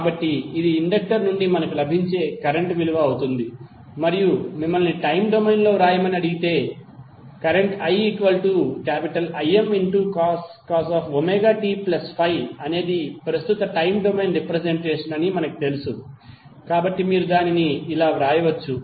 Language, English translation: Telugu, So, that would be the current value which we get from the inductor and if you are asked to write in the time domain, you can simply write as since we know that I is equal to Im cos Omega t plus Phi is the time domain representation of the current